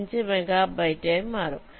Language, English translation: Malayalam, this requires one megabyte